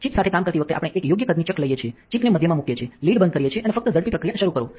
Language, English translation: Gujarati, When working with a chip we take a chuck of the right size place the chip in the center, close the lid and start the quick process quick start just